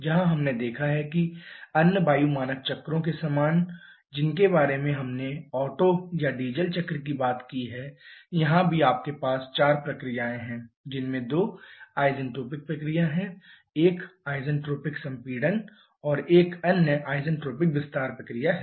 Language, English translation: Hindi, Where we have seen that quite similar to the other air standard cycles that we have talked about like Otto or Diesel cycle here also you have four processes two of them are isentropic process and isentropic compression and another isentropic expansion process